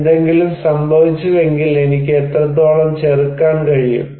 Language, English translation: Malayalam, If something happened, I can resist what extent